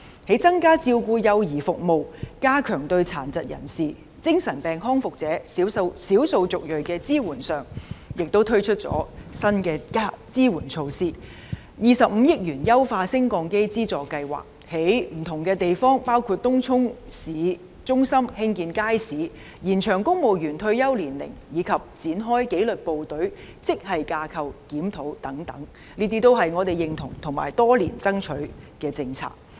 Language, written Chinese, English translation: Cantonese, 在增加照顧幼兒服務、加強對殘疾人士、精神病康復者、少數族裔的支援上，亦推出了新的支援措施，並且推出25億元的"優化升降機資助計劃"；在不同地方包括東涌市中心興建街市；延長公務員退休年齡；以及展開紀律部隊職系架構檢討等，這些都是我們認同及爭取多年的政策。, New support measures have also been introduced to enhance child care services and to strengthen support services for persons with disabilities ex - mental patients and the ethnic minorities . There are also measures including launching a 2.5 billion Lift Modernisation Subsidy Scheme; construction of public markets in different places including Tung Chung town centre; extension of the retirement age of civil servants and the commencement of the Grade Structure Review on the Disciplined Services . All of these policies are recognized and being striven for by us for many years